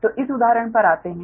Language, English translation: Hindi, so come to this example